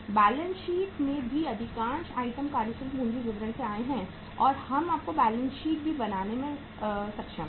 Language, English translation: Hindi, In the balance sheet also most of the items have come from the working capital statement and we are able to tell you the balance sheet also